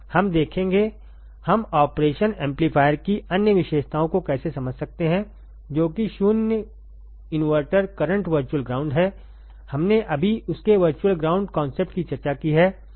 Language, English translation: Hindi, We will see; how can we understand the other characteristics of operation amplifier which are the 0 input current virtual ground, we have just discussed virtual ground concept right over here, right